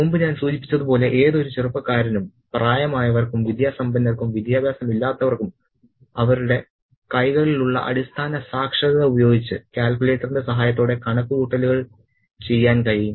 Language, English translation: Malayalam, And as I mentioned before, any young person, any young or old person educated or an educated can do the sums with the help of the calculator with a basic amount of literacy at their hands